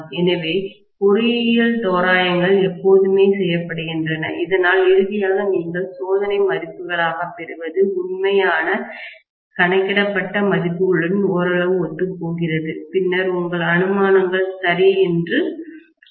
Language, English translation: Tamil, So, engineering approximations are always done so that finally what you obtain as experimental values somewhat coincide with the actual calculated values, then you say your assumptions are okay, that is all, right